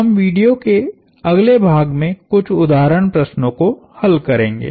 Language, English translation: Hindi, We will solve some example problems in the next set of videos